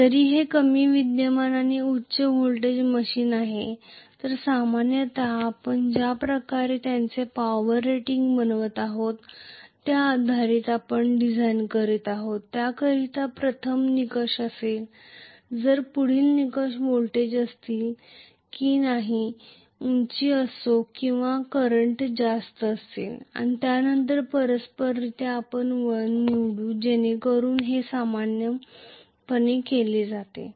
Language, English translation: Marathi, Whereas this is lower current and high voltage machine so, normally this is the way we,you know design the stuff depending upon what kind of power rating we are designing it for that will be the first criteria, then the next criteria will be whether the voltage will be higher or current will be higher and then correspondingly we will choose the winding, that is how it is done normally,ok